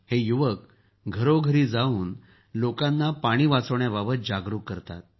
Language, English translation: Marathi, They go doortodoor to make people aware of water conservation